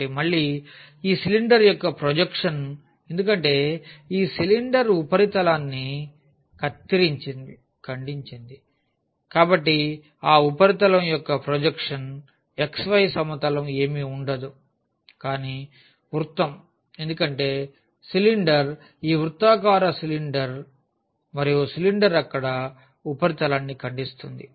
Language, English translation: Telugu, So, again the projection of this cylinder because the cylinder cut that surface; so the projection of that surface over the xy plane will be nothing, but the circle because the cylinder is this circular cylinder and the cylinder is cutting the surface there